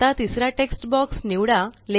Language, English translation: Marathi, Now, select the third text box